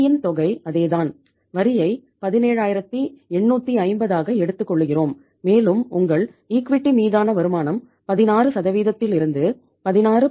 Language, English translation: Tamil, Tax is the same amount we are taking tax as 17850 and your return on equity has improved from 16% to 16